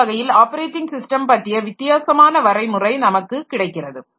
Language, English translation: Tamil, So, this way we can get different definitions of operating systems